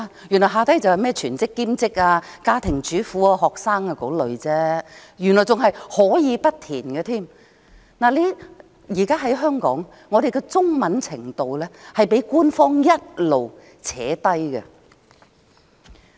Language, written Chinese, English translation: Cantonese, 原來即是全職、兼職、家庭主婦、學生等類別而已，而且可以不填，現時香港的中文程度一直被官方拉低。, It turns out that it asks whether the applicant is employed unemployed a home - maker a student and so on and the applicant can choose not to answer . Hong Kongs Chinese standard is constantly being pulled down by the Government